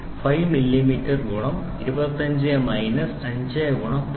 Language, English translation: Malayalam, 5 millimeter plus 25 minus 5 into 0